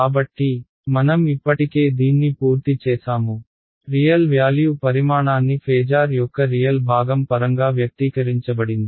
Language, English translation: Telugu, So, we have already done this the real valued quantity is expressed in terms of the real part of the phasor right